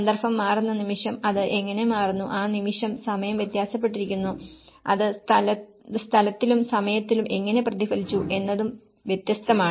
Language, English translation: Malayalam, The moment, the context is different how it is changed, the moment, the time varied, how it has reflected in space and time